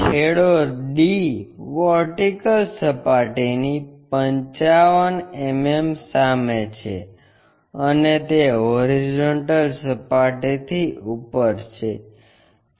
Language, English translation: Gujarati, End D is 55 mm in front of a VP and it is above HP plane